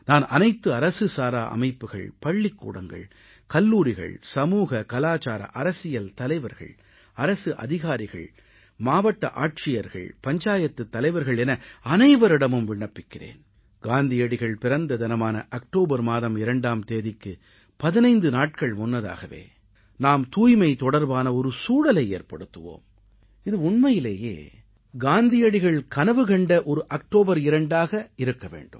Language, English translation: Tamil, I urge all NGOs, schools, colleges, social, cultural and political leaders, people in the government, collectors and sarpanches, to begin creating an environment of cleanliness at least fifteen days ahead of Gandhi Jayanti on the 2nd of October so that it turns out to be the 2nd October of Gandhi's dreams